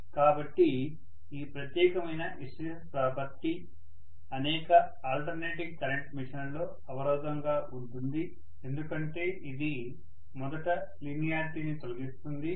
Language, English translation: Telugu, So this particular hysteresis property is a pain in the neck in many of the alternating current machines because it will first of all eliminate the linearity